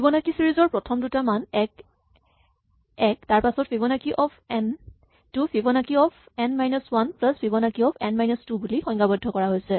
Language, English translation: Assamese, So, the general rule for Fibonacci is that the first value is equal to the second value is equal to 1 and after the second value Fibonacci of n is Fibonacci of n minus 1 plus Fibonacci of n minus 2